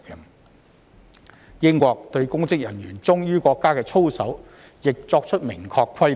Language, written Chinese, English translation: Cantonese, 此外，英國對公職人員忠於國家的操守亦作出明確的規定。, The United Kingdom also has explicit stipulations on the conduct of public officers requiring them to be loyal to the country